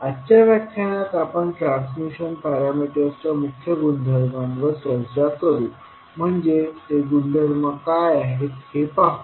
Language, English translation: Marathi, For today’s lecture we will first discuss the key properties of the transmission parameters, so we will see what are those the properties